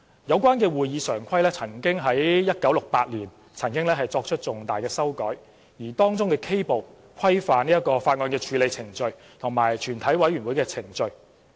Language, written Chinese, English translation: Cantonese, 有關《會議常規》於1968年曾作出重大的修改，而當中的 K 部規範法案的處理程序及全委會的程序。, Significant changes were made to the Standing Orders in 1968 and Part K thereof standardized the procedure on bills and the procedure of a committee of the whole Council